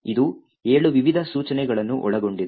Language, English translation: Kannada, It comprises of 7 different instructions